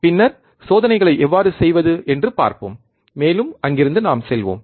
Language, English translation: Tamil, Then we will see how to perform the experiments, and we will move from there ok